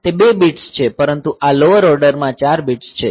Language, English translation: Gujarati, So, those 2 are bits, but this lower order 4 bits